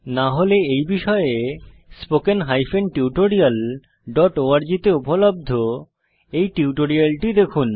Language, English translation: Bengali, If not please see the spoken tutorial on these topics available at spoken hyphen tutorial dot org